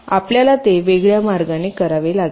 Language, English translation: Marathi, we have to do it in a different way, right